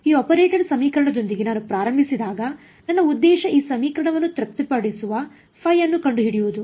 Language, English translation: Kannada, My objective when I started with this operator equation was to find out the phi that satisfies this equation